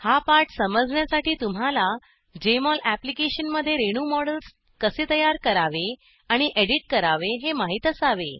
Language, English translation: Marathi, To follow this tutorial, you should know how to create and edit molecular models in Jmol Application